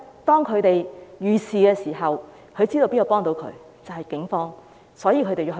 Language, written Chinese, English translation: Cantonese, 當他們遇事的時候，知道警方可以幫助他們，所以才會報案。, They would report the case as they realize that the Police can help them when they are in trouble